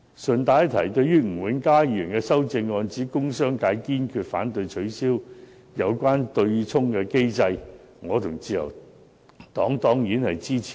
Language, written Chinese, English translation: Cantonese, 順帶一提，對於吳永嘉議員的修正案，指"工商業界堅決反對取消有關對沖機制"，我和自由黨當然支持。, I should like to mention in passing that the Liberal Party and I surely support Mr Jimmy NGs amendment which notes that the industrial and commercial sectors resolutely oppose abolishing the offsetting mechanism